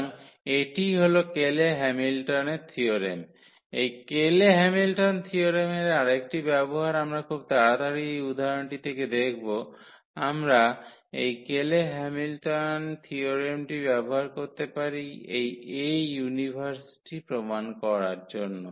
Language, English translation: Bengali, So, that is what the Cayley Hamilton theorem is; another use of this Cayley Hamilton theorem we can quickly look from this example we can use this Cayley Hamilton theorem to prove this A inverse